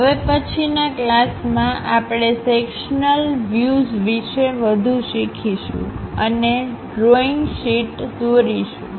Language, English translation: Gujarati, In next class, we will learn more about the sectional views and represent them on drawing sheet